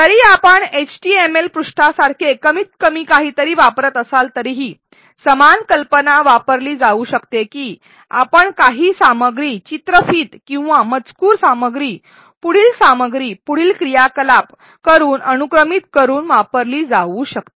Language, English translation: Marathi, Even if you are using something minimal like an html page, the same idea can be used that you sequence some content either video or text content followed by an learning by doing activity followed by the next piece of content and so on